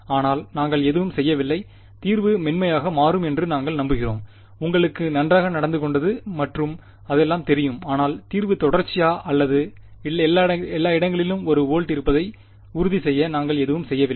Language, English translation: Tamil, But we are doing nothing we are just hoping that the solution turns out to be smooth and you know well behaved and all of that, but we are not doing anything to ensure that the solution is continuously one volt everywhere right